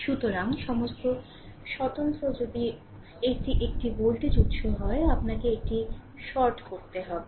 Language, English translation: Bengali, So, all the independent if it is a voltage source, you have to short it